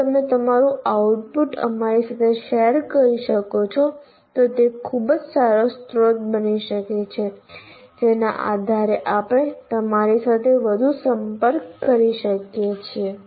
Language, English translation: Gujarati, And if you can share your output with the, with us, it will become a very good source based on which we can interact with you more